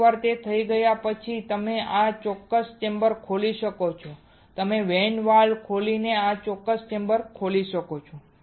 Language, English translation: Gujarati, Once it is done you can open this particular chamber you can open this particular chamber by opening the vent valve